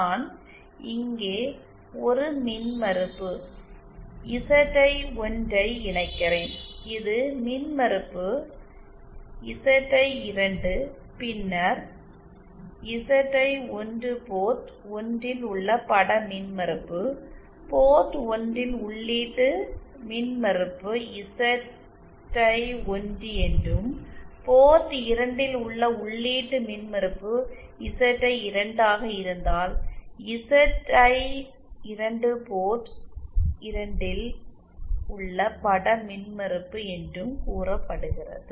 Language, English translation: Tamil, Suppose I connect an impedance ZI1 here and this is the impedance ZI2, then ZI1 is said to be the image impedance at port 1 and the input impedance at the port 1 is also ZI1 and ZI2 is said to be the image impedance at port 2, if the input impedance at port 2 is also ZI2